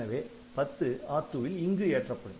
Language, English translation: Tamil, So, the 40 will be loaded into R2